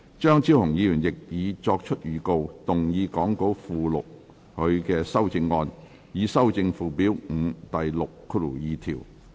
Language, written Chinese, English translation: Cantonese, 張超雄議員亦已作出預告，動議講稿附錄他的修正案，以修正附表5第62條。, Dr Fernando CHEUNG has also given notice to move his amendment to amend section 62 of Schedule 5 as set out in the Appendix to the Script